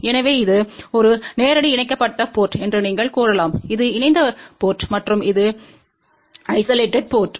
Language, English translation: Tamil, So, this is the you can say a direct couple port, this is the coupled port and this is the isolated port